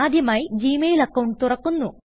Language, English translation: Malayalam, First we open the Gmail account